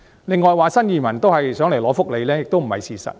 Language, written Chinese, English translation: Cantonese, 另外，有人說新移民都是想來港領取福利，這也不是事實。, Besides some have contended that new arrivals come to Hong Kong for our welfare benefits . This is not true either